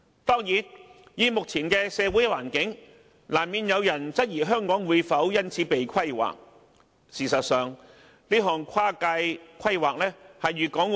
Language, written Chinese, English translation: Cantonese, 當然，在目前的社會氣氛和環境中，難免會有人質疑香港會因此而"被規劃"。, Of course in this present social atmosphere and situation there are bound to be some who question whether Hong Kong will thus be planned